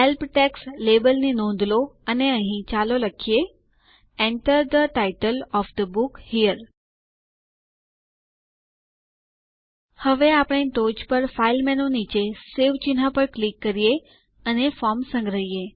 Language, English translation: Gujarati, Notice the label Help text and here, let us type in Enter the title of the book here Now, let us save the form by clicking on the Save icon below the File menu on the top